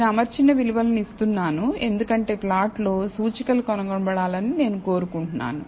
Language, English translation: Telugu, I am giving fitted values is, because on the plot, I want the indices to be found